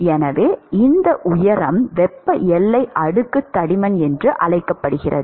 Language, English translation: Tamil, So, one could define thermal boundary layer thickness